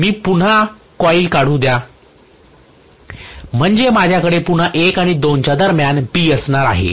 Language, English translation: Marathi, Let me draw again the coil so I'm going to have between 1 and 2 again B here is C and here is A, right